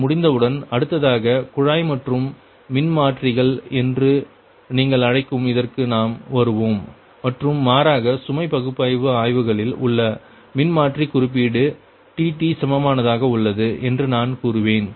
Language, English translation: Tamil, next we will come to that, your what you call the tap changing transformers and rather i will say that transformer representation, transformer representation in the load flow studies, that is the pi equivalent, right